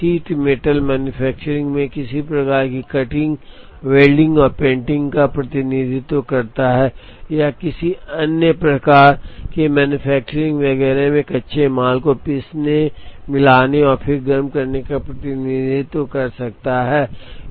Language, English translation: Hindi, It could represent some kind of a cutting, welding and painting, in sheet metal manufacturing or it could represent some kind of a raw material grinding, mixing and then heating, in other process type manufacturing and so on